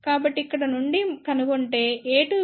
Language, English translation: Telugu, So, from here we can find out a 2 is nothing but equal to gamma L times b 2